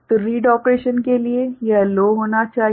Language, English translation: Hindi, So, this has to be low for read operations